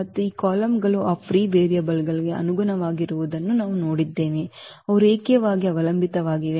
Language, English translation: Kannada, And we have seen that these columns here corresponding to those free variables, they are linearly dependent